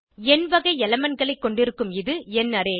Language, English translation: Tamil, This is the number array which has elements of number type